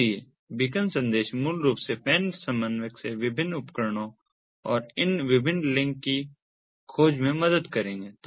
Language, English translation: Hindi, so beacon messages basically will help in the discovery of these different links from the pan coordinator to the different devices and so on